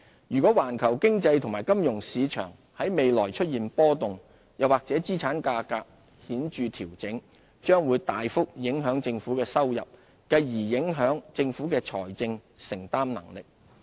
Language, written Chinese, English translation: Cantonese, 如果環球經濟及金融市場在未來出現波動，又或資產價格顯著調整，將會大幅影響政府的收入，繼而影響政府的財政承擔能力。, Volatility in the global economy and financial market in the future or significant adjustment in asset prices will affect government revenue and fiscal affordability